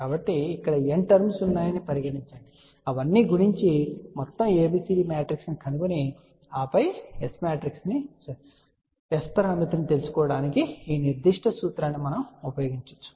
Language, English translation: Telugu, So, let there be n number of terms over here multiply all of those find overall ABCD matrix and then yes just use this particular formula to find out overall S parameter